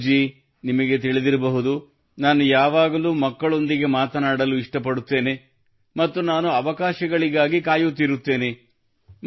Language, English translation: Kannada, Gaurav ji, you know, I also like to interact with children constantly and I keep looking for opportunities